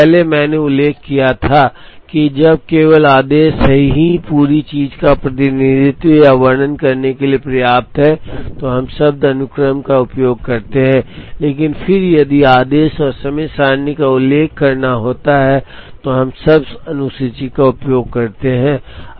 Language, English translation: Hindi, Earlier, I had mentioned that, when the order alone is enough to represent or describe the entire thing, then we uses the word sequence, but then if the order and the timetable have to be mentioned then we use the word schedule